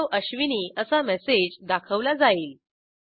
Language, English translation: Marathi, The message Hello ashwini is displayed